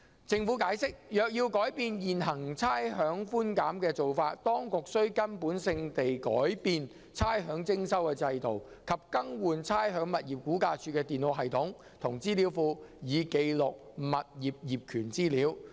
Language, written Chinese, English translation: Cantonese, 政府解釋，若要改變現行差餉寬減的做法，當局須根本性地改變差餉徵收制度，以及更換估價署的電腦系統和資料庫以記錄物業業權資料。, The Government has explained that any changes to the current rates concession approach may imply the need for a fundamental change to the rates collection system and the replacement of the computer system and database of RVD for capturing the information on property ownership